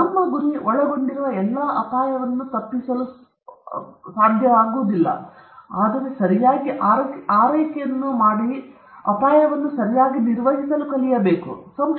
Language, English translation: Kannada, Our aim should not be avoiding all the risk that are involved in, but rather how to properly take care of, how to properly manage risk